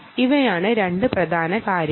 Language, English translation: Malayalam, ok, these are the two important things